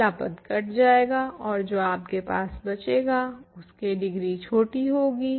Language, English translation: Hindi, The first term will cancel out and what you are left with has a smaller degree